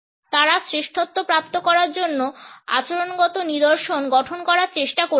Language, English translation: Bengali, They were trying to model behavioural patterns to obtain excellence